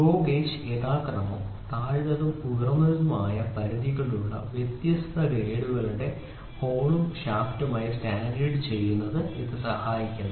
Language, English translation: Malayalam, This helps in standardization of GO gauge as hole and shaft of different grades which have the same lower and upper limits respectively